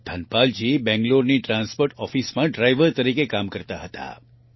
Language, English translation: Gujarati, Dhanapal ji used to work as a driver in the Transport Office of Bangalore